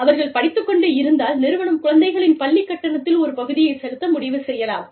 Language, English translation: Tamil, You know, if they are in school, then they may decide, to pay a portion of the fees, of the children's school